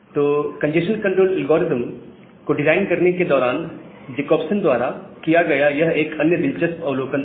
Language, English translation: Hindi, So that was another interesting observation by Jacobson, while designing the congestion control algorithm, so well, so that was the basic principle